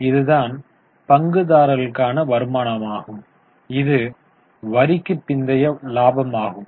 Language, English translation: Tamil, So, this is the return meant for the equity shareholders which is profit after tax